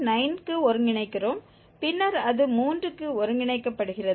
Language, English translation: Tamil, 9 then it is converging to 3